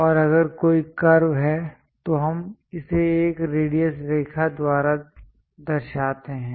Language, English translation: Hindi, And if there are any curves we represent it by a radius line